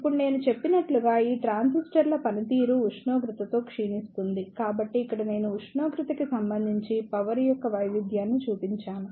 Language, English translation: Telugu, Now, as I mentioned that the performance of these transistors degrade with temperature; so, here I have shown the variation of the power with respect to temperature